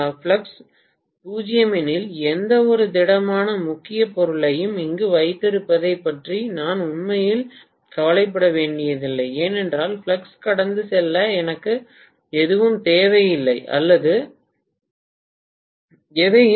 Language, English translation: Tamil, If the flux is 0, I don’t have to really worry about any having any solid core material here at all, because I really do not need anything right